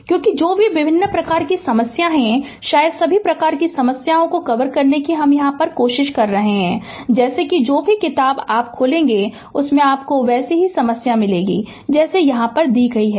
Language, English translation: Hindi, Because, whatever various kinds of problems are there perhaps trying to cover all types of your problem, such that whatever whatever book you will open, you will find problems are almost similar to that whatever has been done here right